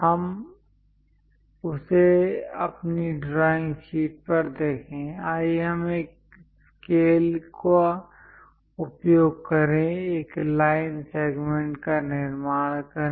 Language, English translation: Hindi, Let us look at that on our drawing sheet; let us use a scale, construct a line segment